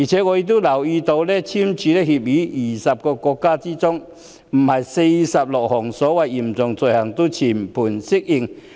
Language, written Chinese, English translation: Cantonese, 我也留意到，已跟香港簽署逃犯移交協定的20個國家之中，並非46項所謂的嚴重罪類都全盤適用。, I have also noticed that under the SFO agreements signed between Hong Kong and 20 countries not all the 46 items of so - called serious offences are applicable